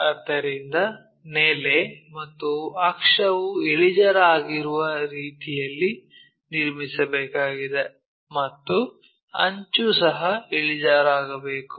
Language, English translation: Kannada, So, we have to construct in such a way that base and axis are inclined and edge also supposed to be inclined